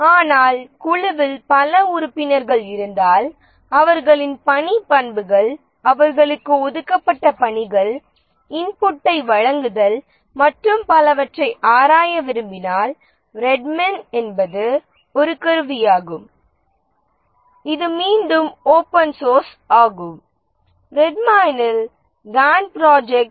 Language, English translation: Tamil, But if there are multiple people who would like to use, like the team members would like to examine their task characteristics, the tasks assigned to them, give inputs and so on, then Red Mine is a tool which is again open source, Gant Project and Red Mine